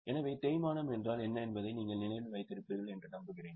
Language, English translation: Tamil, So, I hope you remember what is depreciation